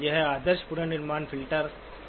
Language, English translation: Hindi, What is an ideal reconstruction filter